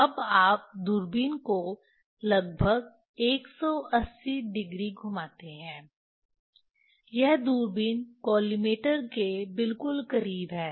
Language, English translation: Hindi, Now, you rotate the telescope approximately 180 degree just this close to the telescope collimator